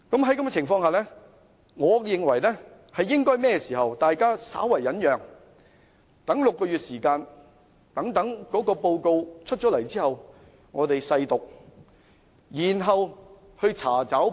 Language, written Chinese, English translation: Cantonese, 在這種情況下，我認為大家應該稍為忍耐，待6個月後報告完成後，我們細讀，然後查找不足。, Therefore I think we should be more patient . After the completion of the report six months later we can read in detail and look for deficiencies